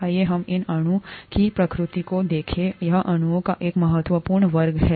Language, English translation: Hindi, Let us look at the nature of this molecule, it is an important class of molecules